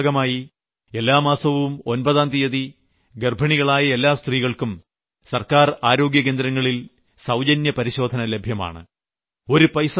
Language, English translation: Malayalam, Under this, on the 9th of every month, all pregnant women will get a checkup at government health centers free of cost